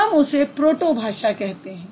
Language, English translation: Hindi, We call it the proto language